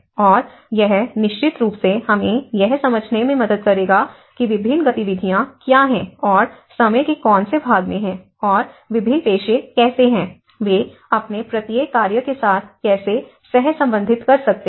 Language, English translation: Hindi, And that will definitely help us to understand what are the various activities and which segments of time and what are the various professions, how they can correlate with each of their work